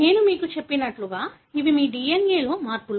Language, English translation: Telugu, As I told you, these are changes in your DNA